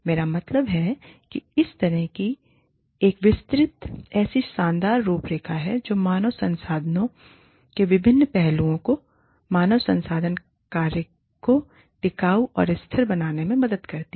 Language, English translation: Hindi, I mean, this is such a detailed, such a brilliant, such a beautiful framework of, how different aspects of human resources, help the human resources function, become sustainable